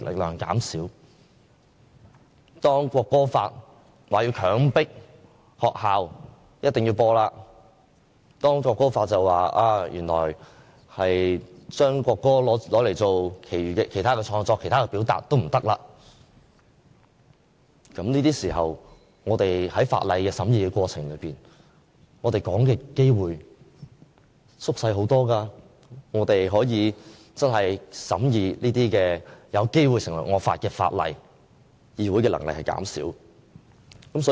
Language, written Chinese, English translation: Cantonese, 如果將來《國歌法》強迫學校必須播放國歌，禁止用國歌作其他創作和表達，而我們在法案的審議過程中的發言機會減少了，便等於議會可以審議這些有機會成為惡法的法案的能力減少。, So if the future ordinance stipulates that the national anthem must be played at schools or prohibits other forms of creative works and expression in relation to the anthem then the reduced chances for us to speak on the bill during scrutiny will be tantamount to weakening the Councils capacity to vet these bills which may likely become draconian laws